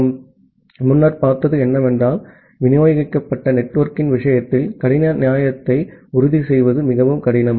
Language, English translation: Tamil, And what we have seen earlier, that in case of a distributed network ensuring hard fairness is very difficult